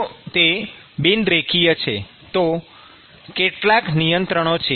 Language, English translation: Gujarati, If it is non linear, then there are some restrictions